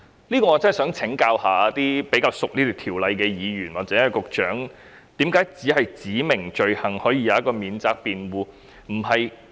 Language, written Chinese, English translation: Cantonese, 就此，我真的想請教比較熟悉這項條例的議員或局長，為何只有修正案訂明的罪行可有免責辯護？, In this connection I really want to consult Members or the Secretary who are more familiar with this ordinance on why defence only applies to offences prescribed in the amendments